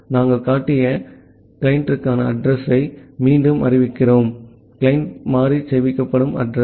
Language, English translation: Tamil, We are again declaring a address for the client that we have shown; the address where the client variable will get stored